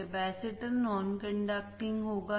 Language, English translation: Hindi, The capacitor would be non conducting